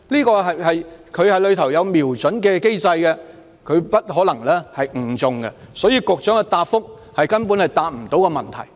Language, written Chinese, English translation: Cantonese, 水炮車有瞄準的機制，不可能誤中其他人，所以局長的答覆根本未能回應問題。, The water cannon vehicle is equipped with an aiming device which makes it unlikely to hit others by mistake thus the Secretary has not responded to the question in his reply at all